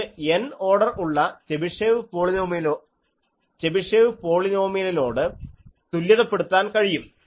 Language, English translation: Malayalam, This can be equated to the Chebyshev polynomial of degree N